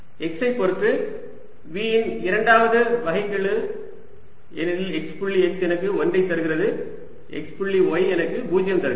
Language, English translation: Tamil, now it comes out to be a scalar function, second derivative of v with respect to x, because x dot x gives me one, x dot y gives me zero